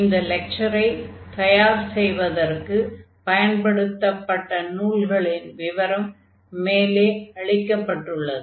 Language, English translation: Tamil, These are the references which are used to prepare these lectures